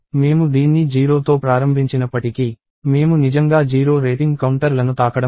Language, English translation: Telugu, So, even though I have initialized this to 0, I am not really going to touch the rating counters of 0 at all